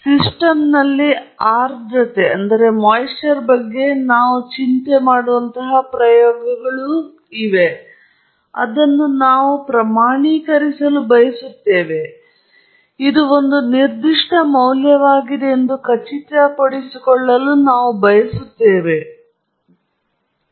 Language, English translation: Kannada, There are experiments where we worry about the humidity in the system and we want to quantify it or we want to ensure that it is a certain value or we want to claim that it is a certain value, so that’s something we will look at